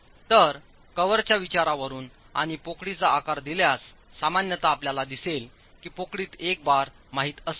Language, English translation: Marathi, So from cover considerations and and given the size of the cavity, typically it is going to be one bar in a given cavity